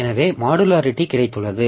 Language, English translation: Tamil, So we have got the modularity